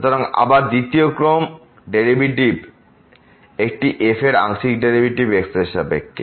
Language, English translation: Bengali, So, again the second order derivative a partial a derivative of with respect to